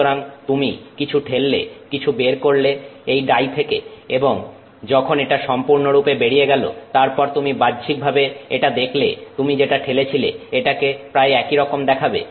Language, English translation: Bengali, So, you push something you, you know, extrude something through this dye and once it comes out overall when you look at it externally it looks roughly similar to what you pushed in